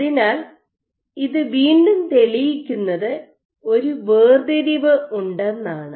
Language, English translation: Malayalam, So, thus this again proves that there is segregation